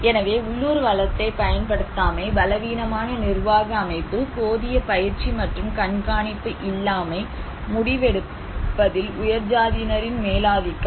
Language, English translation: Tamil, So, no utilization of local resource, weak organizational setup, inadequate training, inadequate monitoring, hegemony of upper caste in decision making